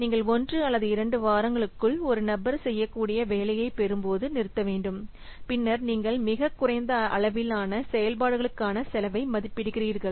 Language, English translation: Tamil, You should stop when you get that what the piece of work that one person can do within one or two weeks, then you estimate the cost for the lowest level activities